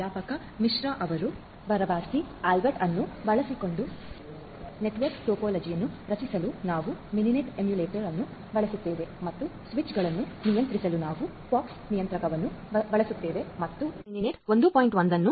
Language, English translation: Kannada, So, vice professor Misra mentioned that we will be using the Mininet emulator to creating the network topology using Barabasi Albert and we use the POX controller to control the switches and we are using open flow 1